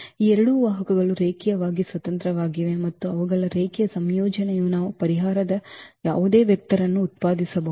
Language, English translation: Kannada, So, these two vectors are linearly independent and their linear combination we can generate any vector of the solution set